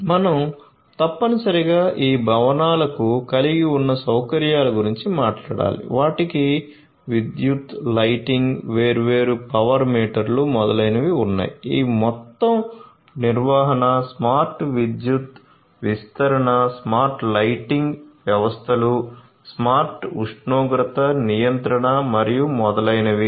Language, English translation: Telugu, like this these buildings which have their owners, they have electricity, lighting, you know different power meters, etcetera, etcetera, managing this whole thing you know having smart electricity deployment, smart lighting systems, smart temperature control and so on